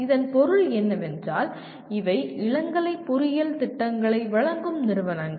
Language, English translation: Tamil, What it means these are the institutions offering undergraduate engineering programs